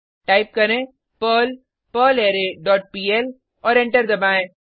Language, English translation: Hindi, Type perl perlArray dot pl and press Enter